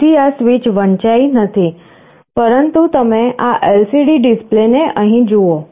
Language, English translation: Gujarati, So, this switch is not read, but you look at this LCD display here